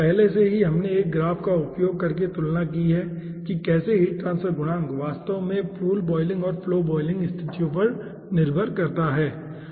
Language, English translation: Hindi, okay, already we have compared, using a graph, how the heat transfer coefficient is actually dependent on in pool boiling and flow volume situations